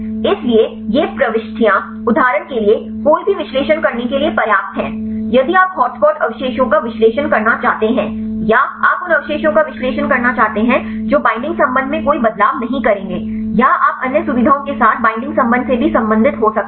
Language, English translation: Hindi, So, these entries are sufficient to do any analysis for example, if you want to analyze hot spot residues or you want the analyze the residues which will not make any changes in the binding affinity or you can also relate to the binding affinity with other features